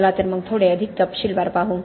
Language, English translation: Marathi, So let us look at something little bit in more detail